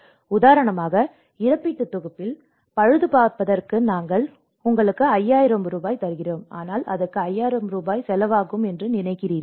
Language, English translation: Tamil, Like for example, in the compensation package, they talked about yes for a house we are giving you 5000 rupees for the repair but do you think it will cost 5000 rupees